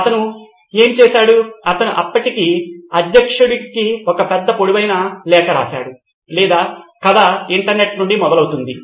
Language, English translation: Telugu, And what he did was he wrote a big long letter to the then President of or the story goes from the internet